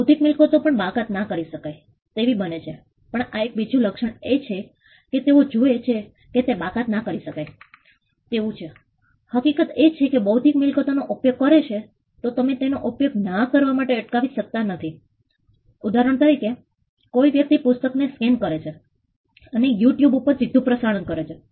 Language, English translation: Gujarati, Intellectual property also becomes non excludable this is another trait which they see it is non excludable the fact that intellectual property can be used by some you cannot stop others from using it for instance; somebody scans a book and chooses to put it on a live telecast on you tube